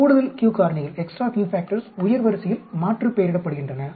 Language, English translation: Tamil, Extra q factors are aliased with higher order will take about it later